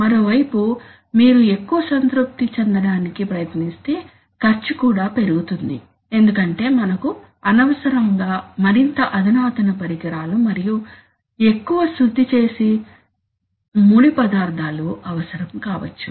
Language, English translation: Telugu, On the other hand if you try to do, try to over satisfy then also cost may go up because we may unnecessarily require more sophisticated equipment and or more refined raw material